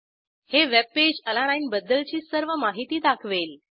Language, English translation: Marathi, Webpage shows all the details about Alanine